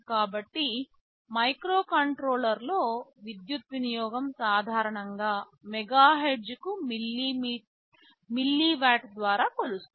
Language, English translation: Telugu, So, power consumption in microcontrollers areis typically measured by milliwatt per megahertz ok